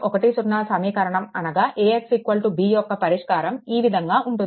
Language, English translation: Telugu, 10 that is your AX is equal to B, right